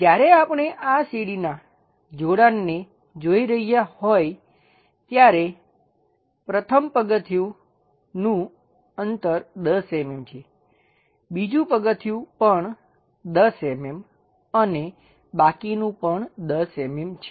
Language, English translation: Gujarati, When we are looking at this staircase connection, the first stair is at 10 mm distance, the second stair also at 10 mm and the rest is also at 10 mm